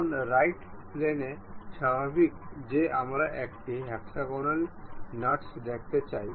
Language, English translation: Bengali, Now, on the right plane normal to that we want to have a hexagonal nut